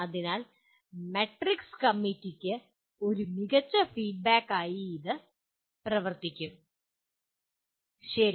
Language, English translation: Malayalam, So that kind of access that matrix will act as a great feedback to the committee as well, okay